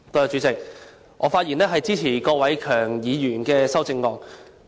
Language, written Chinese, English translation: Cantonese, 主席，我發言支持郭偉强議員的修正案。, President I rise to speak in support of Mr KWOK Wai - keungs amendment